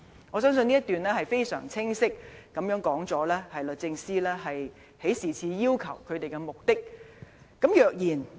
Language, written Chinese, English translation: Cantonese, "我相信這一段已經非常清晰指出律政司提出這項請求的目的。, I believe this paragraph has clearly set out the purpose of the request put forward by DoJ